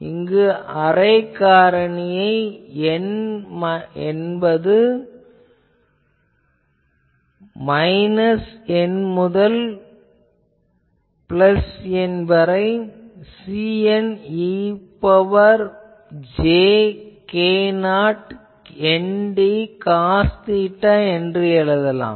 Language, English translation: Tamil, So, the array factor, we can write as n is equal to minus N to capital N C n e to the power j k 0 n d cos theta